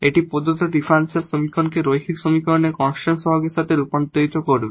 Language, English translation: Bengali, So, so far we have learnt linear differential equations with constant coefficients